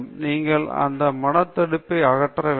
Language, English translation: Tamil, You have to get rid of that mental block